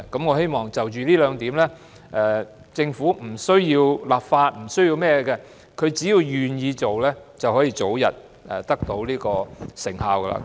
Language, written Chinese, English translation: Cantonese, 我希望就着這兩點，政府不需要立法或是甚麼，政府只要願意做，便可以早日得到成效。, With regard to these two points the Government does not need to enact legislation or do anything else . Once the Government is willing to carry them out early success will certainly be secured